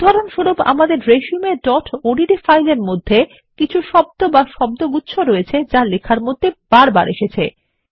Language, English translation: Bengali, For example, in our resume.odt file, there might be a few set of words or word which are used repeatedly in the document